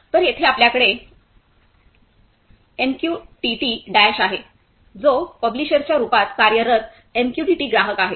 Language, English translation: Marathi, So, and here we have MQTT Dash which is MQTT client working as a publisher